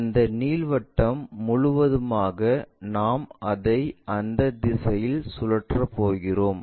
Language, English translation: Tamil, That ellipse entirely we are going to rotate it in that direction